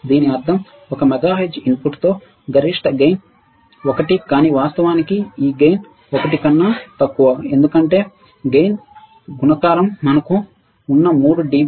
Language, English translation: Telugu, This means that with a one mega hertz input maximum gain is 1, but actually this gain is less than 1 because gain by product is defined as three dB decibel 0